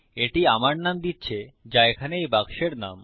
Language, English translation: Bengali, It is giving my name, which is the name of this box here